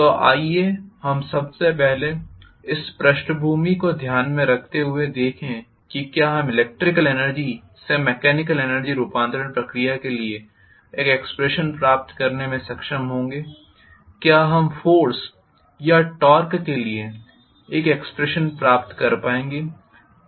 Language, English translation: Hindi, So let us try to first of all see with this background in mind whether we would be able to get an expression for electrical to mechanical energy conversion process, whether we would be able to get an expression for force or torque